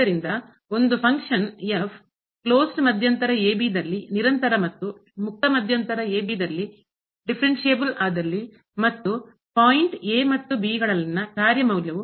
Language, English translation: Kannada, So, if a function is continuous in a closed interval and differentiable in open interval and the function value at the point and the point